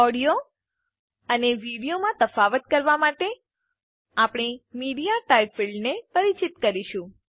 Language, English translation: Gujarati, In order to distinguish between an audio and a video, we will introduce a MediaType field